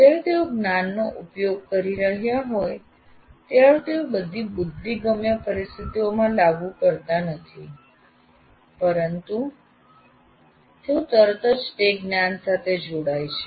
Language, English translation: Gujarati, As we said, when they're applying the knowledge, they are not applying it to all conceivable situations that one is likely to encounter, but is immediately getting engaged with that knowledge